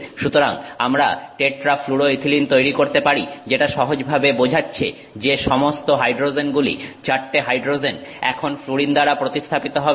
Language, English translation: Bengali, So, we can make tetrafluoroethylene which simply means that all the four hydrogens have now been replaced by fluorine